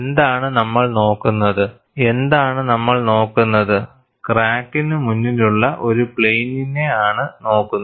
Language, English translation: Malayalam, And what we are looking at is, we are looking at a plane ahead of the crack